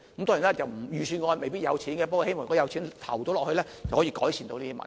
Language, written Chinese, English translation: Cantonese, 當然，預算案未必有預留款項，不過，如果有錢投放入去的話，便可以改善有關的問題。, While the Budget might not have set aside funding for this purpose the situation can be improved if funding is available